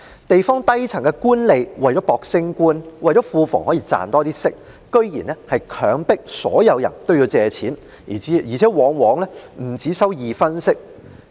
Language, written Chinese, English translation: Cantonese, 地方低層官吏為了爭取晉升及令庫房可賺取更多利息，居然強迫所有人均要向官府借貸，而且利息往往不只二分。, In order to strive for promotion and more interest income for the public coffers district officials at the lower echelon forced all peasants to borrow loans from the government and charged an interest rate of over 20 %